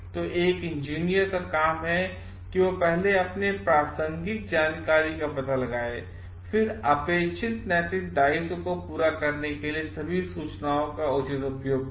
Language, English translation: Hindi, So, it is the job of an engineer to first find out relevant information and then, properly access all the information for meeting the expected moral obligation